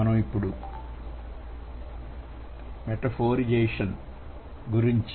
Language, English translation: Telugu, So, what is metaphorization